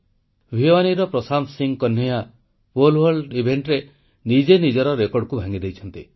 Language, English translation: Odia, Prashant Singh Kanhaiya of Bhiwani broke his own national record in the Pole vault event